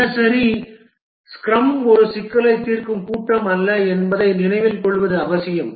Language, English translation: Tamil, It is important to remember that the daily scrum is not a problem solving meeting